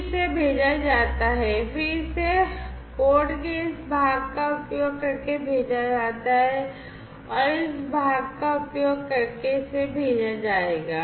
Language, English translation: Hindi, Then it is sent, then it is sent using this part of the code, it is sent using this part